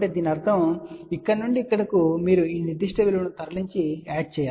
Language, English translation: Telugu, So that means, from here to here, you are going to moveand add this particular value